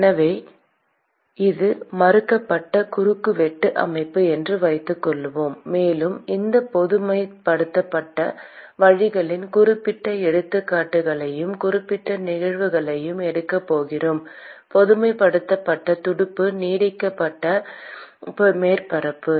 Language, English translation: Tamil, So, let us assume that this is the varying cross sectional system and we are going to take specific examples and specific cases of this generalized case generalized fin to extended surface